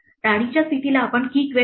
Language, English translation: Marathi, The queen position we will call the key queen